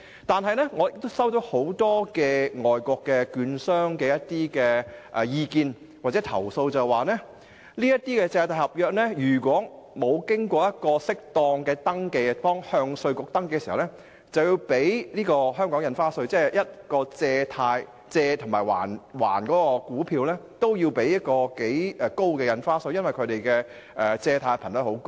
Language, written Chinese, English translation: Cantonese, 然而，我接獲很多外國證券商的意見或投訴，指如果這些借貸合約未有適當的登記而要向香港稅務局登記時，便要繳付香港的印花稅，即是說無論股票的借與還也要繳付頗高的印花稅，而且這些股票的借貸頻率很高。, However I have received feedbacks or complaints from a number of overseas dealers saying that if these agreements are not properly registered subsequent registration at the Inland Revenue Department of Hong Kong would involve a payment of stamp duty . That is to say both the lending and borrowing of stocks are subject to a pretty high stamp duty rate . Worse still there are frequent lending and borrowing of stocks